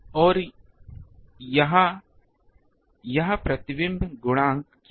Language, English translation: Hindi, And this, what is this reflection coefficient